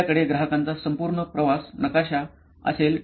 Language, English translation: Marathi, You will have a complete customer journey map